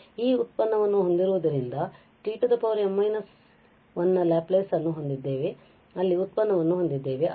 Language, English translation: Kannada, So, having this product, so L we have t power m minus 1 the Laplace of t power n minus 1 and we have the product there